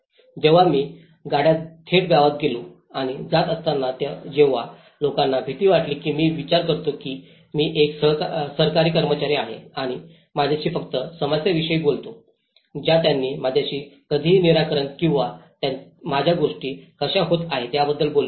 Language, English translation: Marathi, when I approached the village directly in a car and going with, then people were afraid of they thought I was a Government servant and that only talk to me about problems they never talked to me about solutions or their how the things were doing I was getting a different data